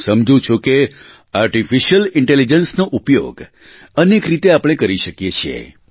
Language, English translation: Gujarati, I feel we can harness Artificial Intelligence in many such fields